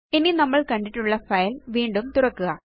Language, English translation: Malayalam, Now reopen the file you have seen